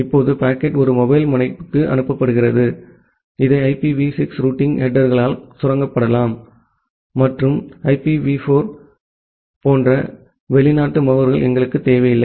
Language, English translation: Tamil, Now, the packet sends to a mobile node, it can be tunneled by IPv6 routing headers and we do not require the foreign agents like IPv4